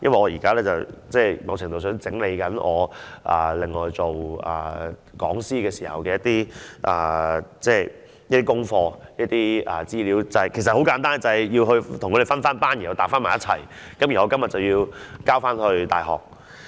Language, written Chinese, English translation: Cantonese, 因為我一邊廂正整理我做講師時的一些功課和資料——很簡單，我就是將資料分類和整理好，稍後交回大學。, Meanwhile I am sorting out my teaching materials and information for my teaching work―it is simple I am classifying and sorting out them and then I will return them to the University later on